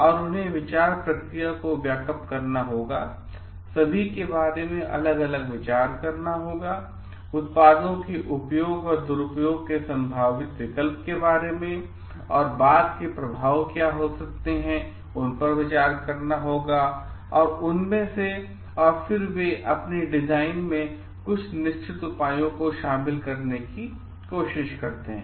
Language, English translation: Hindi, And in a very like they have to broaden the thought process think of all the different alternatives possible of use and misuse of the products and what could be the after effects of that and then they try to incorporate certain check measures in their design